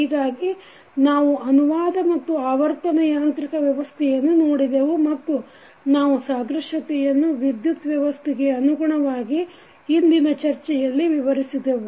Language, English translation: Kannada, So, we have seen the translational as well as rotational mechanical system and we described the analogies with respect to the electrical system in today’s discussion